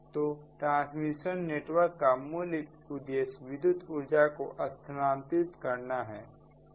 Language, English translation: Hindi, so basic purpose of a transmission network is to transfer electrical energy